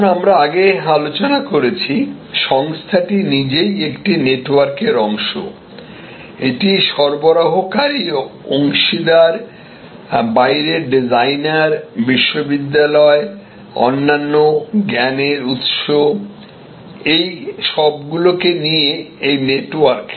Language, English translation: Bengali, So, now as we discussed before, the organization the firm itself is part of a network, it is suppliers, it is partners, designers from outside, universities, other knowledge sources, this is one network